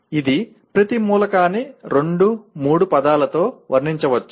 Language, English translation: Telugu, It could be just each element can be described in two, three words